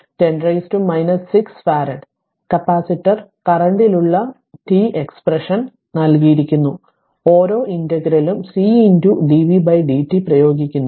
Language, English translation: Malayalam, 5 into 10 to the power minus 6 farad, you can say expression for the capacitor current is given as I mean just for each integral you apply C into dv by dt right